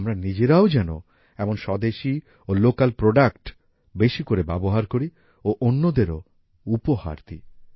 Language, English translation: Bengali, We ourselves should use such indigenous and local products and gift them to others as well